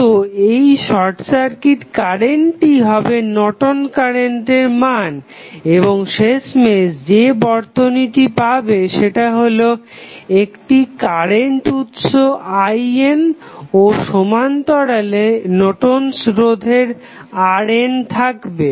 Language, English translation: Bengali, So, this short circuit current will be nothing but the Norton's current and the final circuit which you will get would be the current source that is I n and in parallel with you will have the Norton's resistance R n and that is AB